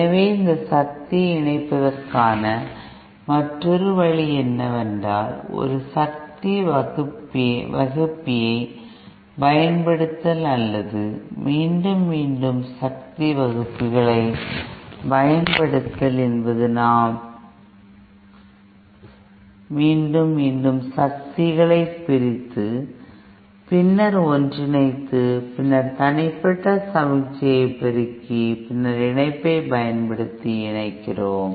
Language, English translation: Tamil, So yet another way of achieving this power combining is, using a power divider or repeatedly using power dividers we repeatedly divide the powers and then combine, then amplify the individual signals and then combine it using combine